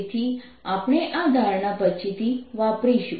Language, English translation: Gujarati, so we will use this assumption later on